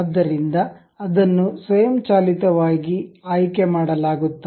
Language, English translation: Kannada, So, it is automatically selected